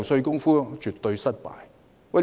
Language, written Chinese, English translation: Cantonese, 這絕對是失敗。, This is an absolute failure